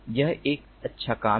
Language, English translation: Hindi, this is a fine work